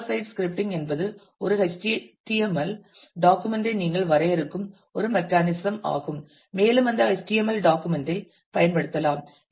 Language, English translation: Tamil, Server side scripting is a mechanism where you define an HTML document and to within that HTML document can be used